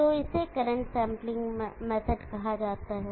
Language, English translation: Hindi, So this is called current sampling method